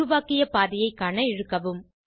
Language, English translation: Tamil, Drag to see the created pathway